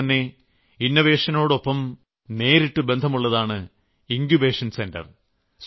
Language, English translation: Malayalam, Similarly, innovations are directly connected to Incubation Centres